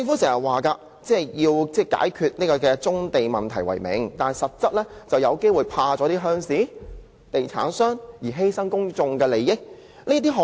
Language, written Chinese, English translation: Cantonese, 政府經常以解決棕地問題為名，但實際上是因害怕鄉事、地產商而犧牲公眾利益。, The Government often acts in the name of solving the brownfield problem but in fact it sacrifices public interest for fearing the rural powers and property developers